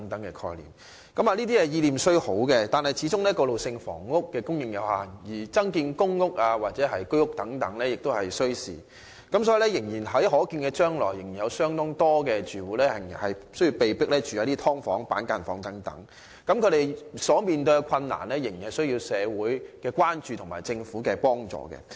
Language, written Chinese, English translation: Cantonese, 政府的意念雖好，但過渡性房屋的供應始終有限，而增建公屋或居屋等需時，因此在可見將來，仍有相當多住戶被迫入住"劏房"或板間房，他們所面對的問題，仍需社會關注和政府幫助。, The Government has indeed put forth very good ideas but the supply of transitional housing is limited while the construction of additional public rental housing PRH units and units under the Home Ownership Scheme will take time . Therefore many households will still have to live in subdivided units or cubicle apartments in the foreseeable future . The problems facing these people still need societys attention and government aid